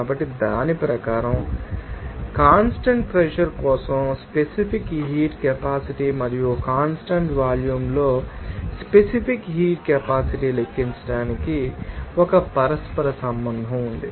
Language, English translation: Telugu, So, according to that, there will be a you know, there is a you know a correlation to calculate that specific heat capacity for constant pressure and specific heat capacity at constant volume